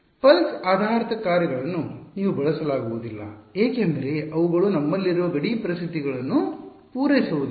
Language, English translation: Kannada, You cannot use pulse basis functions because they do not satisfy the boundary conditions that we have